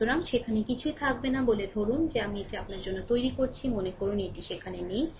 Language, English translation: Bengali, So, nothing will be there say suppose I am making it for you suppose it is not there